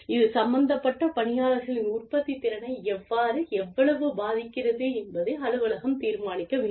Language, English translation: Tamil, The office has to determine, how, and how much this impacts the office, the productivity of the people involved